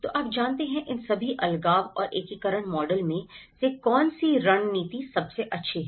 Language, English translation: Hindi, So, you know, out of all these segregation and integration models which strategy is the best